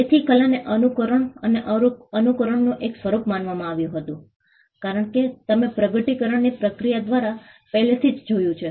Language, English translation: Gujarati, So, art was regarded as a form of imitation and imitation as you already saw came through the process of discovery